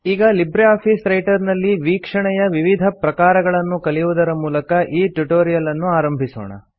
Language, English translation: Kannada, So let us start our tutorial by learning about the various viewing options in LibreOffice Writer